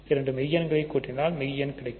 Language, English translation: Tamil, So, if you add two rational numbers you get a rational number